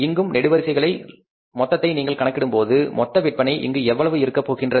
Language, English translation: Tamil, When you total it up here also on the vertical columns so the total sales are going to be total sales and they are going to be how much